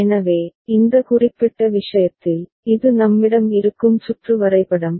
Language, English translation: Tamil, So, in this particular case, this is the circuit diagram we are having